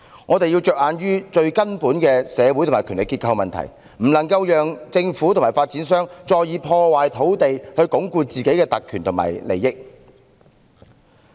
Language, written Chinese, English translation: Cantonese, 我們要着眼於最根本的社會和權力結構問題，不能讓政府和發展商再破壞土地以鞏固自身的特權及利益。, We should focus on the most fundamental problem in respect of social and power structures . We cannot allow the Government and developers to ruin any more land to consolidate their own privileges and interests